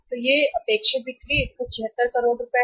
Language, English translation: Hindi, So this is the sales, expected sales, 176 total sales 176 crores